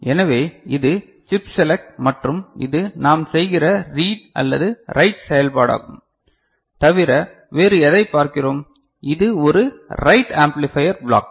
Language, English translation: Tamil, So, this is chip select and this is read or write operation that we are doing, other than that what else we see, this is a write amplifier block